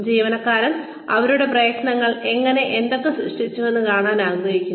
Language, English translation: Malayalam, Employees like to see, how their efforts, what their efforts, have produced